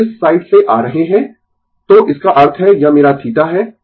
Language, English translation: Hindi, So, coming to this side, so that means, this is my theta